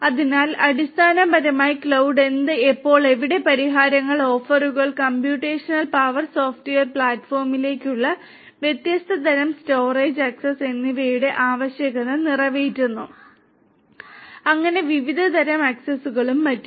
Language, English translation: Malayalam, So, basically cloud fulfills the need of what, when and where solutions, offerings, you know different types of storage access to computational power software platform and so on different types of accesses and so on